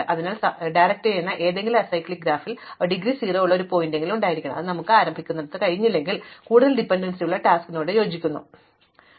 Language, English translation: Malayalam, So, in any directed acyclic graph, there must be at least one vertex with indegree 0 which corresponds to a task with no dependencies from where we can start our enumeration of the tasks